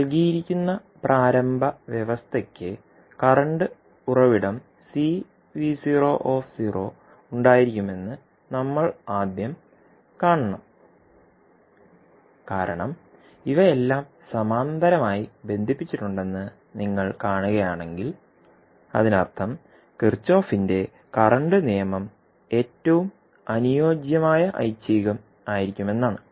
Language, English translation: Malayalam, But we have to first see that initial condition which is given will have the current source C v naught because if you see these all are connected in parallel it means that Kirchhoff’s current law would be most suitable option